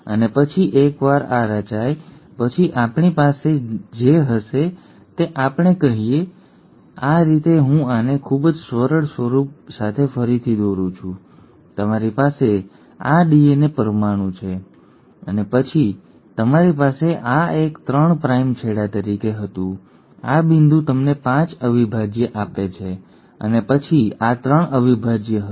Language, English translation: Gujarati, And then once this has been formed, what we'll now have is let us say, this is how I am just redrawing this with much simpler form, so you have this DNA molecule, and then you had this one as the 3 prime end, this point give you the 5 prime and then this was a 3 prime and then this was the 5 prime